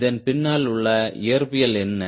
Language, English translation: Tamil, what is the physics behind it